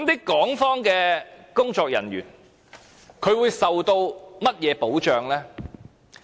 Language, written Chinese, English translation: Cantonese, 港方工作人員會受甚麼保障？, What protection do personnel of the Hong Kong authorities enjoy?